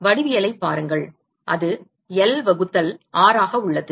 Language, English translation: Tamil, Look at the geometry, it is L by R